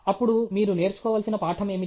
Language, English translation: Telugu, Then, what is the lesson you have to learn